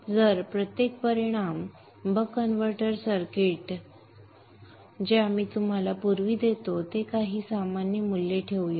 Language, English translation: Marathi, If we revisit the buck converter circuit that we drew earlier let us put some values here generic values